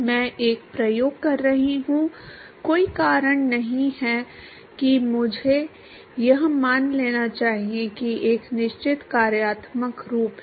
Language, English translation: Hindi, I am doing an experiment, there is no reason why I should assume that there is a certain functional form